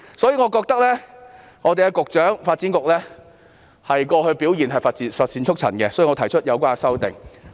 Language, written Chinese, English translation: Cantonese, 由於我認為發展局局長過去的表現乏善足陳，因此提出有關修正案。, I think the performance of the Secretary for Development has nothing to write home about and so I have proposed the amendment